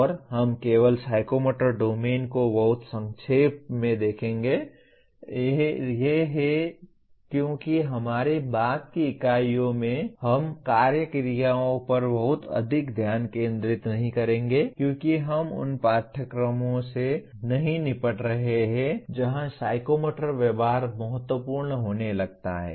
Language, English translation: Hindi, And we are only looking at psychomotor domain very briefly because in our subsequent units we will not be focusing very much on action verbs because we are not dealing with courses where psychomotor behavior starts becoming important